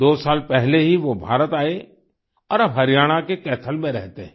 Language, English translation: Hindi, Two years ago, he came to India and now lives in Kaithal, Haryana